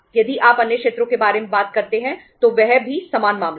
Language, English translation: Hindi, If you talk about the other sectors that was the same case